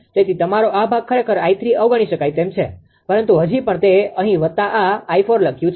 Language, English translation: Gujarati, So, this is your this part actually negligible for i 3 right, but still I have written here plus this one your i 4 right